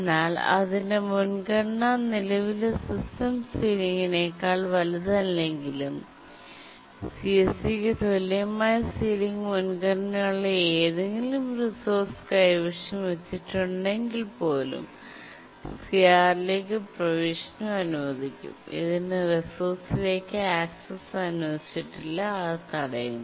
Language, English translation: Malayalam, But even if its priority is not greater than the current system sealing, but then if it is holding any resource whose ceiling priority is equal to the CSE, then also it is granted access to CR